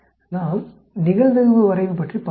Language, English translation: Tamil, Let us look at the probability plot